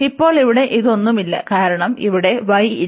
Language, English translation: Malayalam, And now here this is nothing but because there is no y here